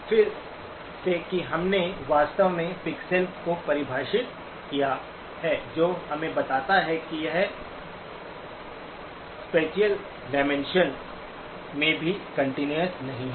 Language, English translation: Hindi, Again by the virtue that we actually have defined the pixels, that tells us that it is not continuous in the spatial dimension either